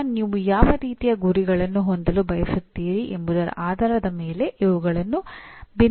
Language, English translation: Kannada, Or depending on what kind of targets that you want to have these can differ